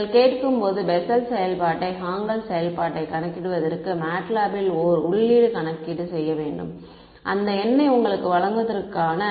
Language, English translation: Tamil, When you ask MATLAB to compute Bessel function Hankel function, it has to do a internal calculation to give you that number